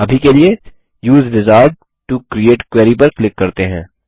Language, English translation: Hindi, For now, let us click on Use Wizard to Create Query